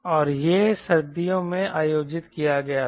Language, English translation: Hindi, and this was conducted in winter